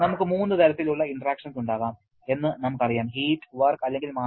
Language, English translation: Malayalam, We know we can have 3 kinds of interaction, heat, work or mass